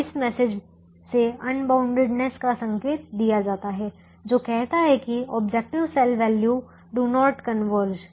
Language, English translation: Hindi, so unboundedness is indicated by this message which says the objective cell values do not converge